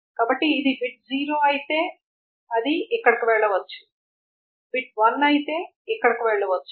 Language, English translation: Telugu, So if this is the bit is 0, it can go here, the beat is one, it can go here and so on